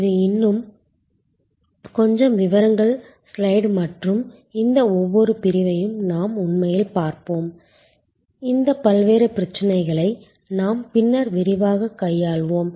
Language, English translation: Tamil, This is a little more details slide and we will actually look into each one of these segments, that as we tackle these various issues more in detail later on